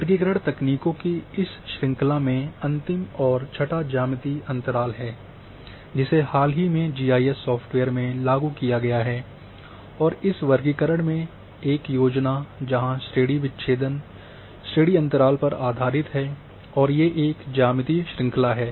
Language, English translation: Hindi, Last one in this series of classification techniques is the 6th one is the geometrical interval which has been recently implemented in the GRS software’s and in this classification, a scheme where the class breaks are based on class intervals and that have a geometrical series